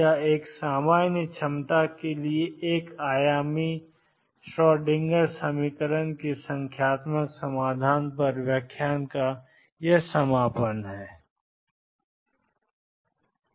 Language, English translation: Hindi, That concludes the lecture on numerical solution of Schrodinger equation in one dimension for a general potential